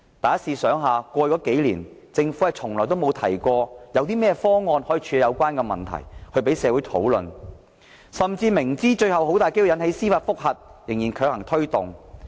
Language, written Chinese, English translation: Cantonese, 大家試想想，過去數年，政府從來沒有提過有甚麼方案可以處理有關問題，讓社會討論，甚至明知最後很有可能引起司法覆核仍強行推動。, In the past few years the Government has not proposed any option in this regard for discussion by society and knowing full well that a judicial review may probably be filed it still insisted on introducing the arrangement